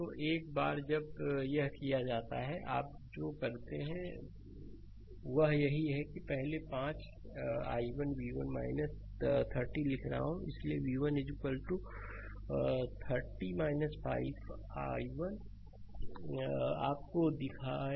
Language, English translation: Hindi, So, once it is done, then what you do that is why first I am writing 5 i 1 v 1 minus 30, so v 1 is equal to 30 minus 5 1, I showed you